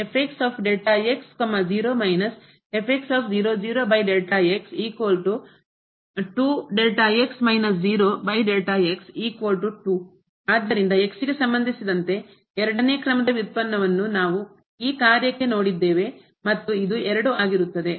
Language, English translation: Kannada, So, what we have seen the second order derivative with respect to of this function is 2